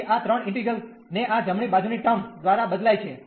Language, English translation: Gujarati, So, these three integrals will be replaced by these right hand side terms